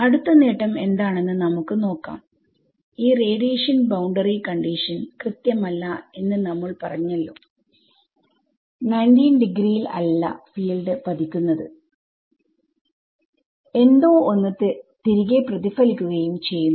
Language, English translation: Malayalam, The other advantage is this let us say that you we have we have spoken about this radiation boundary condition being inexact correct and its inexact when the field that is hitting it is non normal not coming at 90 degrees then something reflects back correct